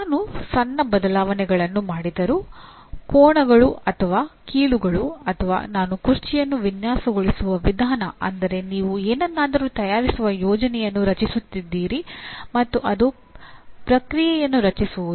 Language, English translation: Kannada, Even if I make small changes, the angles or the joints or the way I design the chair it becomes that means you are creating a plan to fabricate something and that is what do you call is a create process